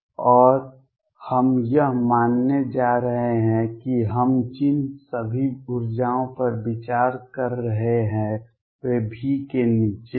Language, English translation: Hindi, And we are going to assume that all energies we are considering are below V